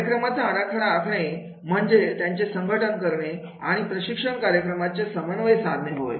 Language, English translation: Marathi, The program design refers to the organization and coordination of the training programs